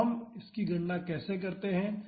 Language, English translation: Hindi, So, how do we calculate it